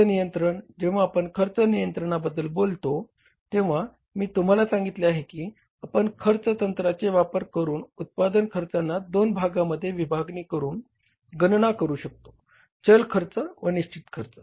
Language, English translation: Marathi, When you talk about the cost control, I told you that we calculate the cost of production under this technique of costing by dividing it into two parts, variable cost and the fixed cost